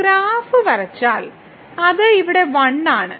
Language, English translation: Malayalam, So, if we just draw the graph so, here it is 1